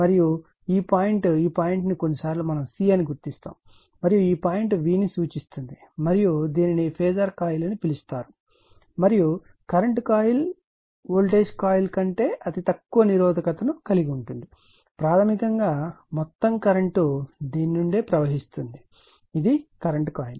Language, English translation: Telugu, And this point this point some , this point sometimes we mark c and this point marks as v and this is called phasor coil and voltage coil current coil has negligible resistance ; basically, it to , current passing through all the current passing through this your what you call ,your, this is the current coil